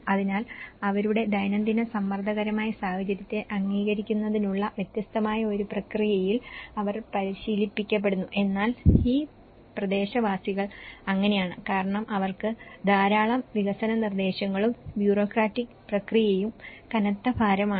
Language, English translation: Malayalam, So, they are trained in a different process of their daily pressurized situation of approving and but then how these locals, because they are heavily burden with lot of development proposals and the process the bureaucratic process